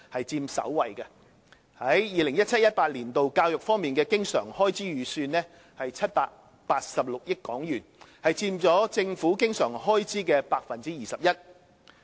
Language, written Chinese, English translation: Cantonese, 在 2017-2018 年度，教育方面的經常開支預算為786億港元，佔政府經常開支的 21%。, In 2017 - 2018 the recurrent expenditure on education is estimated to be HK78.6 billion accounting for 21 % of the total recurrent expenditure of the Government